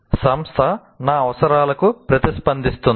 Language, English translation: Telugu, Are they responsive to my needs